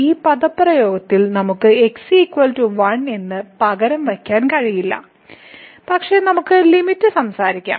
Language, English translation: Malayalam, Because we cannot simply substitute as is equal to in this expression, but we can talk about the limit